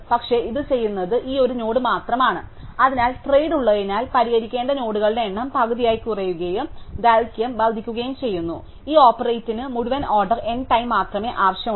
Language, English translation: Malayalam, But, this only one node which does this, so therefore since there is trade off that the number of nodes to be fix is halving and the length is only increasing by one it turns out that this whole operand needs only order N time